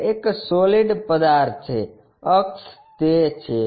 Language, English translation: Gujarati, It is a solid object, axis is that